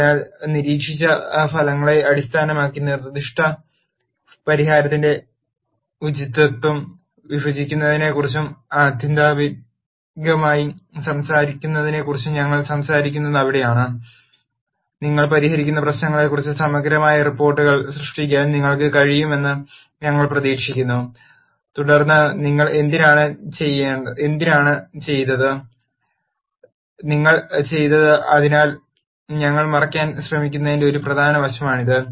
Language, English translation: Malayalam, So, that is where we talk about judging the appropriateness of the proposed solution based on the observed results and ultimately, we would expect you to be able to generate comprehensive reports on the problems that you solve and then be able to say why you did, what you did, so, that is an important aspect of what we are trying to cover